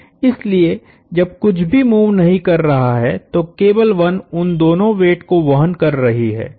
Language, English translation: Hindi, So, when nothing is moving the cable 1 is bearing both of those weights